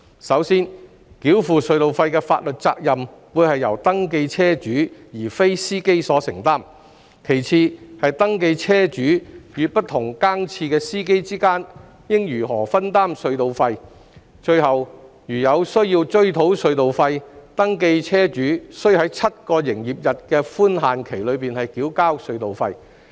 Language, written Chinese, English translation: Cantonese, 首先，繳付隧道費的法律責任會是由登記車主而非司機所承擔；其次，是登記車主與不同更次司機之間應如何分擔隧道費；最後，如有需要追討隧道費，登記車主須在7個營業日的寬限期內繳付隧道費。, Firstly it is the concern about the toll payment liability which will rest with the registered vehicle owners instead of the drivers . Secondly there are concerns about how the registered vehicle owners and the rentee - drivers of different shifts should split the tolls . Finally they are concerned about the requirement that the registered vehicle owners should pay the tolls within a grace period of seven business days in case of toll recovery